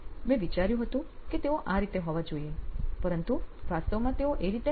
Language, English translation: Gujarati, This is how I thought they should be but they are actually turning out to be this way